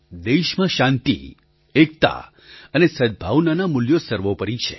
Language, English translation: Gujarati, The values of peace, unity and goodwill are paramount in our country